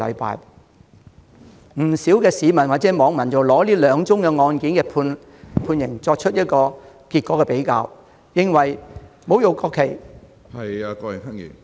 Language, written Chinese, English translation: Cantonese, 不少市民或網民比較這兩宗案件的判決結果後認為，侮辱國旗......, Many members of the public or netizens have compared the judgments of these two cases and they think that desecrating the national flag